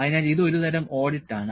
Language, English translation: Malayalam, So, it is kind of an audit